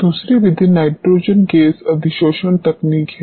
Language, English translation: Hindi, The second method is nitrogen gas adsorption technique